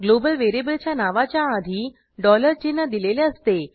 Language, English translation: Marathi, Global variable names are prefixed with a dollar sign ($)